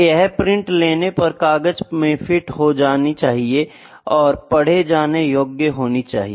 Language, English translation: Hindi, It has to be fit into the paper when you print it out it should be legible to be read